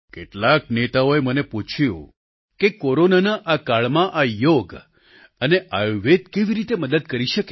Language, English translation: Gujarati, Many leaders asked me if Yog and Ayurved could be of help in this calamitous period of Corona